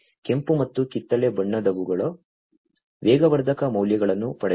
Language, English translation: Kannada, The red and the orange colored ones are the ones, which are getting the accelerometer values, right